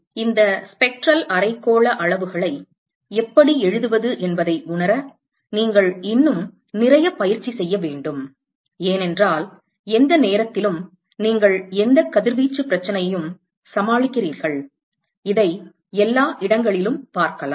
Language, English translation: Tamil, So, you have to practice a lot more to get a feel of how to write these spectral hemispherical quantities because anytime you deal with any radiation problem you are going see this all over the place